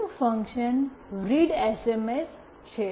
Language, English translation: Gujarati, Next the function readsms